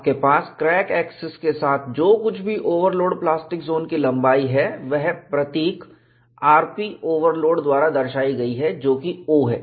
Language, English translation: Hindi, You have along the crack axis, whatever is the length of the overload plastic zone is given by the symbol r p overload, that is o